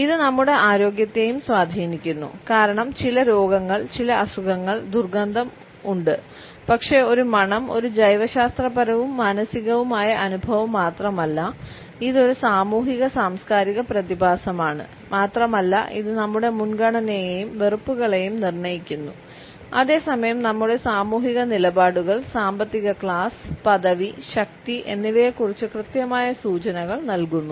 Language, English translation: Malayalam, It is also influenced by our health because certain illnesses because certain ailments have an odor, but a smell is not just a biological and psychological experience, it is also a social and cultural phenomena and it determines our preference as well as aversions and at the same time it passes on definite clues about our social positions, economic class, status and power